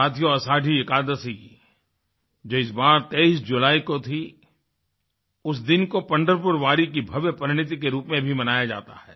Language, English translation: Hindi, Friends, Ashadhi Ekadashi, which fell on 23rd July, is celebrated as a day of grand transformation of Pandharpur Wari